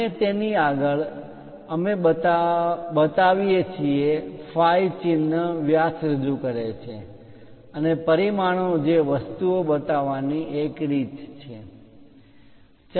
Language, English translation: Gujarati, And next to it, we show the phi symbol diameter represents and the dimensioning that is one way of showing the things